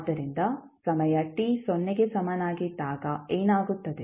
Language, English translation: Kannada, So, what will happen at time t is equal to 0